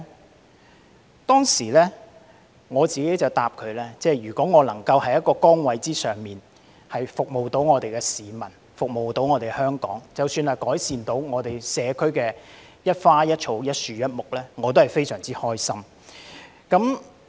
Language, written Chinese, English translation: Cantonese, 我當時回答說，如果我能夠在一個崗位上服務香港市民和服務香港，即使只是改善社區的一花一草、一樹一木，我也感到非常開心。, I replied at the time that if I could serve the people of Hong Kong and serve Hong Kong in my position even though I could make only some trivial improvement to the community I would feel very happy